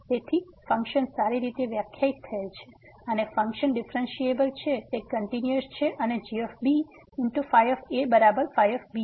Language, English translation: Gujarati, So, the function is well defined the function is differentiable, it is continuous and is equal to